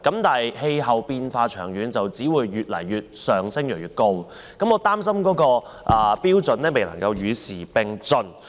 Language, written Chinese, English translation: Cantonese, 然而，氣候變化長遠只會越來越嚴重，極端海水位只會越來越高，我擔心有關標準未能與時並進。, However in the long run climate change will only be more serious and extreme sea level rise will only be more frequent . I am concerned that the criteria are not up - to - date